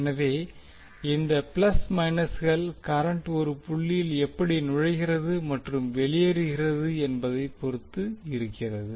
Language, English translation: Tamil, So this plus minus will be depending upon how current is entering and leaving the dots